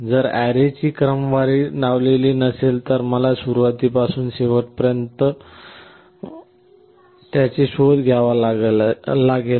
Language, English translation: Marathi, Well if the if the array was not sorted, then I would have to search it from the beginning to the end